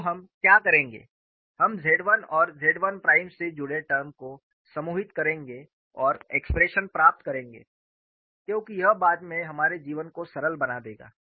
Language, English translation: Hindi, So, what we will do is, we will group the terms involving Z 1 and Z 1 prime and get the expressions, because that will make our lives simple later